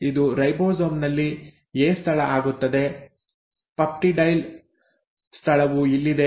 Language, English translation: Kannada, This becomes the A site in the ribosome; this is where is the peptidyl site